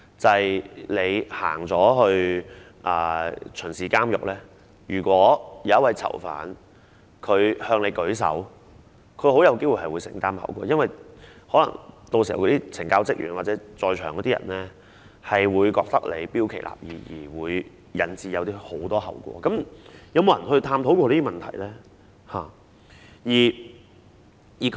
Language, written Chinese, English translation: Cantonese, 即是當你巡視監獄時，如果有一個囚犯向你舉手，他很有機會要承擔後果，因為可能懲教人員或在場人士會覺得你標奇立異，而引致很多後果，是否有人探討過這些問題呢？, That means when you inspect a prison if a prisoner raises his hand to you it is very likely that he will have to bear some consequences because the CSD officers or people present may consider him doing something extraordinary in order to catch attention thus leading to many consequences . Has anyone ever looked into these questions?